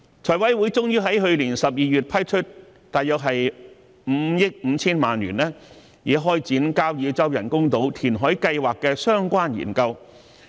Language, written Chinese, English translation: Cantonese, 財委會終於在去年12月批出約5億 5,000 萬元撥款，以開展交椅洲人工島填海計劃的相關研究。, The Finance Committee finally approved funding of about 550 million in December last year to commence studies related to the reclamation project for the Kau Yi Chau Artificial Islands